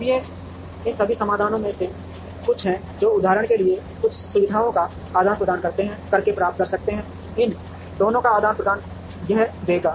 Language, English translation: Hindi, Now, these are all some of these solutions which we could get by exchanging some of the facilities for example, exchanging these two would give this